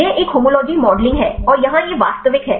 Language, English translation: Hindi, This is a homology modeling one and here this is the actual one